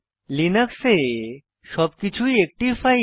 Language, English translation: Bengali, In Linux, everything is a file